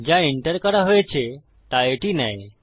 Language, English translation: Bengali, It takes what has been entered